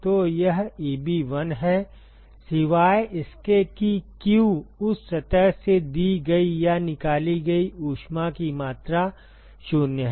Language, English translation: Hindi, So, this is Eb1 except that the q to the amount of heat that is given or taken out from that surface is 0